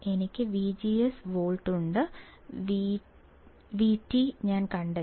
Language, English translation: Malayalam, I have V G S 4 volts, V T I do find it out